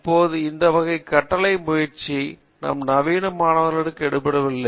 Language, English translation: Tamil, Now, that type of dictate is not working out with our modern students